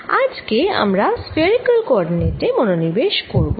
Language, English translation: Bengali, in this lecture we will focus on a spherical coordinate system